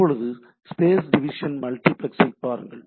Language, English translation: Tamil, Now, if you just look at the space division multiplexing